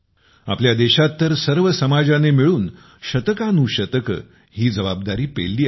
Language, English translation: Marathi, In our country, for centuries, this responsibility has been taken by the society together